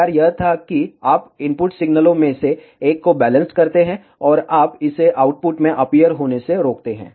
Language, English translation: Hindi, The idea was you balance out one of the input signals, and you prevent it to appear in the output